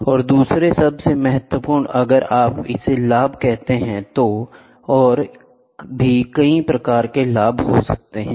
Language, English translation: Hindi, And, the other most important, if you say this advantage the advantages are many